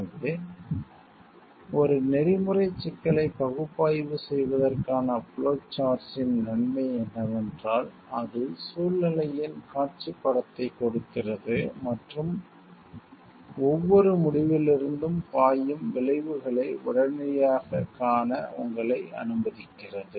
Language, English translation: Tamil, So, the advantage of flow chart to analyze an ethical problem is that it gives a visual picture of the situation and allows you to readily see the consequences that flows from each decision